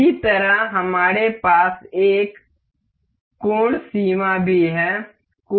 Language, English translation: Hindi, Similarly, we have angle limit as well